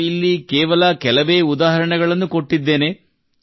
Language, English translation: Kannada, I have given only a few examples here